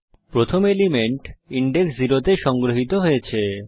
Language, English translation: Bengali, The first element is stored at index 0